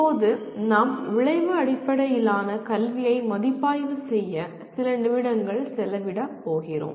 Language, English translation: Tamil, Now we spend a few minutes to review the our Outcome Based Education